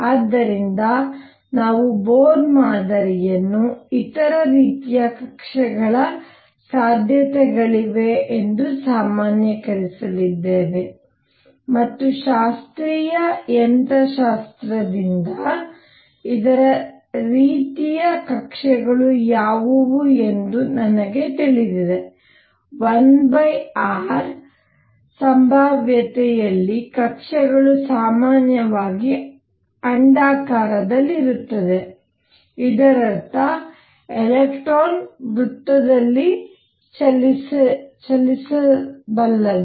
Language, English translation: Kannada, So, we are going to generalize Bohr model to considered possibilities of other kinds of orbits and what are the other kinds of orbits from classical mechanics I know that in a one over r potential the orbits are elliptical in general; that means, what I can have is I can have an electron moving in a circle